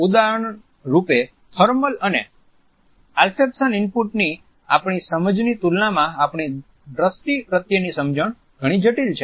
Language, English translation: Gujarati, For example, our understanding of the vision is much more complex in comparison to our understanding of thermal and olfaction inputs